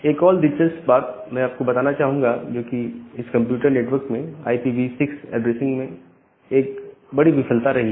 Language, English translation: Hindi, And interestingly that is actually one of the biggest failure in computer network this IPv6 addressing